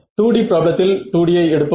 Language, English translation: Tamil, So, in a 2 D problem let us take 2 D